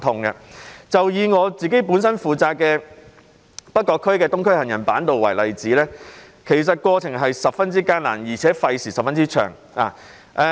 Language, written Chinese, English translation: Cantonese, 以我本身負責的北角區的東區走廊下的行人板道為例，過程十分艱難，而且費時甚長。, Take the Boardwalk underneath the Island Eastern Corridor in the North Point District for which I am responsible as an example . The process was arduous and time - consuming